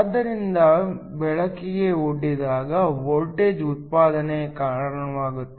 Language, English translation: Kannada, So, when expose to light leads to a generation of voltage